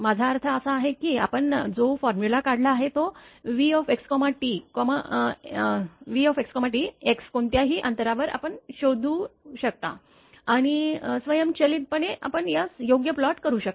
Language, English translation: Marathi, I mean the way we have derived the formula that x v x t x at any distance you can find out and automatically you can plot this one right